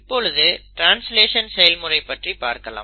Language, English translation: Tamil, Now let us look at the actual process of translation